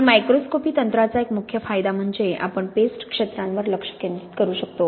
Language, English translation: Marathi, And one of the main advantages of the microscopy techniques is really we can focus on the paste regions